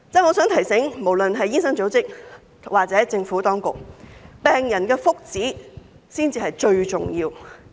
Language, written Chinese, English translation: Cantonese, 我想提醒，無論是醫生組織或政府當局，病人的福祉才是最重要。, I would like to remind the doctors associations and the Government that the well - being of patients is first and foremost important